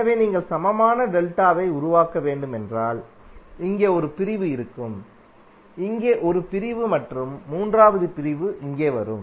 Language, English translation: Tamil, So if you have to create equivalent delta there will be onE1 segment here, onE1 segment here and third segment would come here